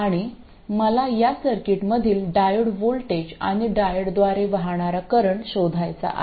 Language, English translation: Marathi, And I want to find the voltage across the diode and the current through the diode in this circuit